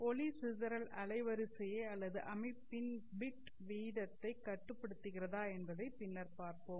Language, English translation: Tamil, In fact, we will later see that dispersion limits the bandwidth or the bit rate of the system